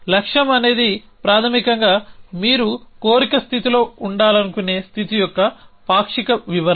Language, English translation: Telugu, So, goal is basically a partial description of a state that you want to be in of the desire state essentially